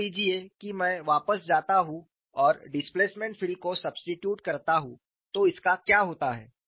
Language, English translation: Hindi, Suppose I go back and substitute the displacement field what happens to it